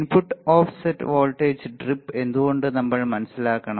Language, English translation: Malayalam, Why we need to understand input offset voltage drip